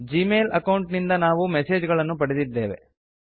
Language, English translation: Kannada, We have received messages from the Gmail account